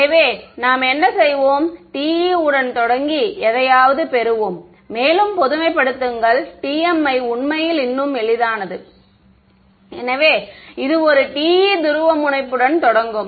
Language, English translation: Tamil, So, what we will do is we will start with TE and derive something, and generalize I mean the together TM is actually even easier o, so will start with this one TE polarization